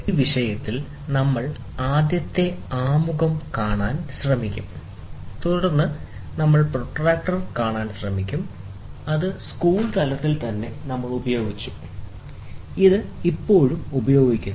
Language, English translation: Malayalam, So, in this topic, we will try to see first introduction, then we will try to see protractors, which we used it right from the school age, this is still used